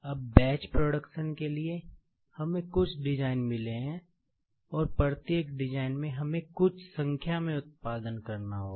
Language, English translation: Hindi, Now, for batch production, we have got a few designs; and each design, we produce a few in numbers